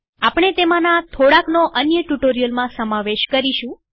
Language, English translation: Gujarati, We will encounter some of them in other tutorials